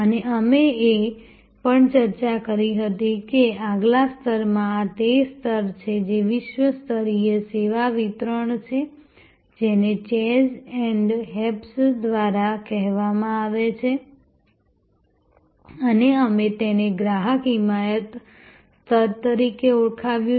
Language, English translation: Gujarati, And we had also discussed that in the next level, this is the level, which is world class service delivery called by chase and hayes and we have called it customer advocacy level